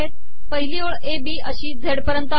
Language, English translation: Marathi, The first row says a, b up to z